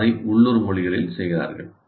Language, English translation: Tamil, Some of them they do it in local language